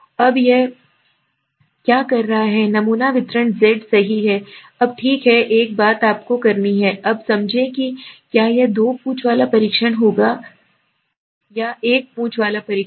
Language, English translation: Hindi, Now what he is doing, the sampling distribution is Z right, now okay one thing you have to understand now whether it will be a two tailed test or one tailed test